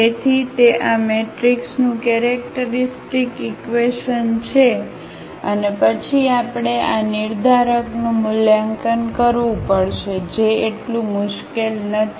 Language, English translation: Gujarati, So, that is the characteristic equation of this matrix and then we have to evaluate this determinant which is not so difficult